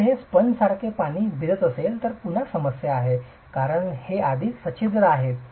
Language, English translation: Marathi, If it is going to be soaking water like a sponge that is again a problem because it is already porous